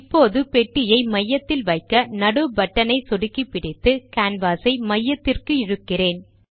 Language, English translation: Tamil, Left, right I will now move the box to the centre by clicking the middle button, holding and dragging the canvas to the centre